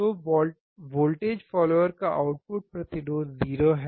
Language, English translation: Hindi, So, output resistance of a voltage follower is 0